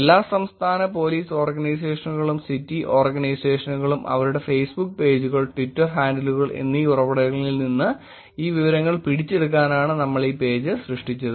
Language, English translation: Malayalam, That is when we created this page in capturing all the State Police Organizations and City Organizations, their Facebook pages, Twitter handles and the source from where we are actually getting this information